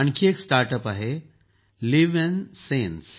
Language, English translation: Marathi, Another startup is LivNSense